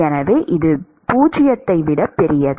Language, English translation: Tamil, So, this is T greater than 0